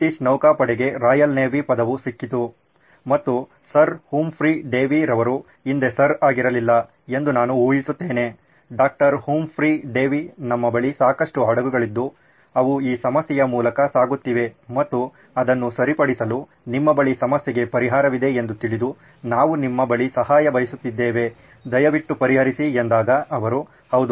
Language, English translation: Kannada, Word got around to Royal Navy, British Navy and they said, Sir Humphry Davy, I guess he was not Sir back then, Humphry Davy, doctor please help us with this, a lots and lots of ships are going through this and we would like to get it fixed and sounds like you have a solution